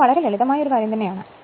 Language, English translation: Malayalam, So, this is very simple thing